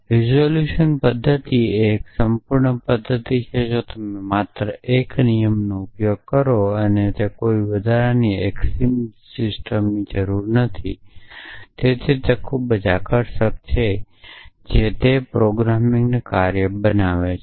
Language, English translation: Gujarati, Resolution method is a complete method if you use only 1 rule of inference and it does not need any extra axiom system for that is why so very attractive it makes the task of programming